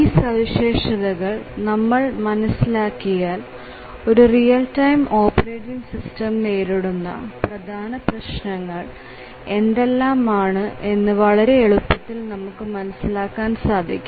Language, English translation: Malayalam, And if we know some of the characteristics of these it becomes easier for you, for us to appreciate the issues that a real time operating system would have to face